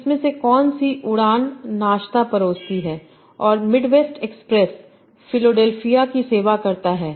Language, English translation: Hindi, So which of these flights serve breakfast and Dutch Midwest Express serve Philadelphia